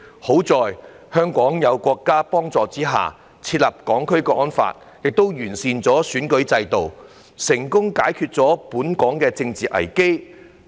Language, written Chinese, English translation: Cantonese, 幸好，香港在國家幫助之下，訂立《香港國安法》，亦完善了選舉制度，成功解決本港的政治危機。, Fortunately with the help of our country Hong Kong has enacted the National Security Law and improved the electoral system which successfully resolved the political crisis in Hong Kong